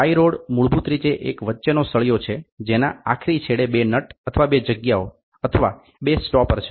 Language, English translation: Gujarati, Tie rods are basically there is a rod in between and the extreme ends you have two nuts or two spaces or two stoppers